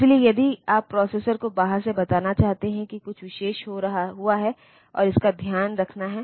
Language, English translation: Hindi, So, if you want to tell the processor from the outside that something extra has happened something special has happened and that has to be taken care of